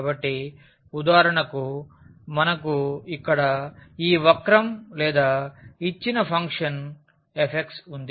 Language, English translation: Telugu, So, for instance we have this curve here or the function which is given by f x